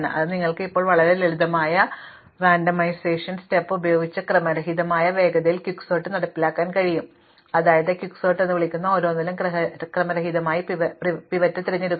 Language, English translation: Malayalam, So, you can now implement Quicksort in a randomized way with a very simple randomization step, namely just pick the pivot at random at each call to Quicksort